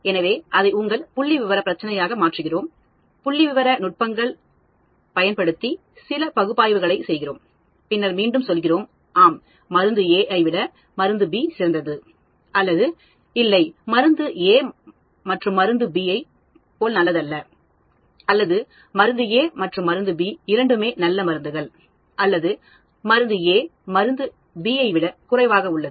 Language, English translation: Tamil, So, we convert that into your statistical problem, we do some analysis using statistical techniques or tools, and then again we end up saying – yes, drug A is better than drug B; or no, drug A is not as good as drug B; or drug A is as good as drug B; or drug A is less than drug B and so on